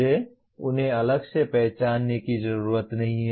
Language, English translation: Hindi, I do not have to separately identify them